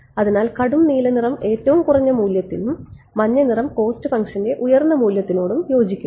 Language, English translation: Malayalam, So, dark blue color corresponds to lowest value and yellow colour corresponds to highest value of cost function ok